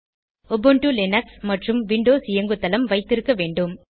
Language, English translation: Tamil, You must have Ubuntu Linux and Windows Operating System